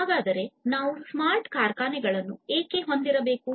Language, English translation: Kannada, So, why at all we need to have smart factories